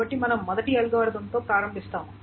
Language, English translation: Telugu, So, let us continue with some other kind of algorithm